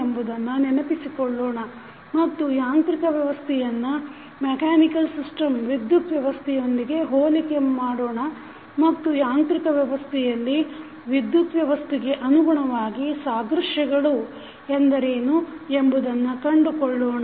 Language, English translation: Kannada, So, we will recap that what is the modeling of electrical system and then we will compare the electrical system with the mechanical system and we will try to identify what are the analogies in the mechanical system with respect to the electrical system